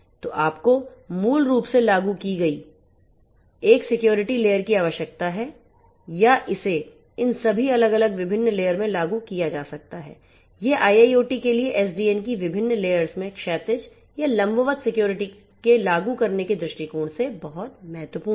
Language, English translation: Hindi, So, you need to have a security layer basically implemented or it can be implemented vertically across all these different layers this is very important from the point of view of implementation of security either horizontally or vertically across the different layers of SDN for IIoT